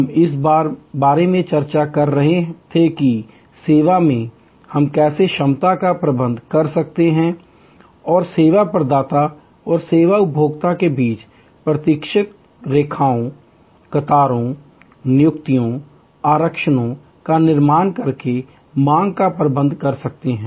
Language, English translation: Hindi, We were discussing about, how in service we can manage capacity and manage demand by creating buffers between the service provider and the service consumer by creating waiting lines, queues, appointments, reservations